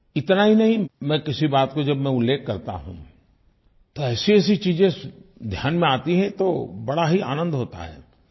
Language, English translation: Hindi, And not only this, when I mention something positive, such memories come to recall, it is very much a pleasant experience